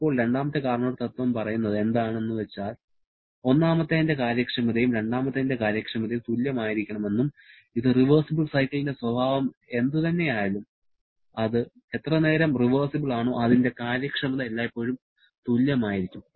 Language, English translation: Malayalam, Now, the second Carnot principle says that efficiency of 1 and efficiency of 2 has to be equal and this whatever may be the nature of the reversible cycle as long as that is reversible, that efficiency will be always the same